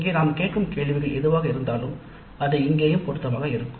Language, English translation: Tamil, In the sense, what our questions we ask there are applicable here also